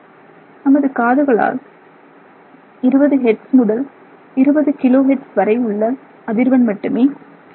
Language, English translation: Tamil, So, our hearing, I mean, capacity is usually between 20 hertz and 20 kilohertz